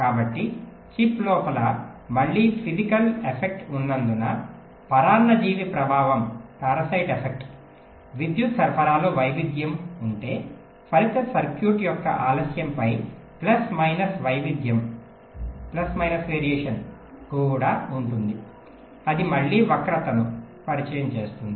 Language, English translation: Telugu, so because of some again physical affect inside the chip, parasite affect, if there is a variation in the power supply, there will also be a plus minus variation in the delay of the resulting circuit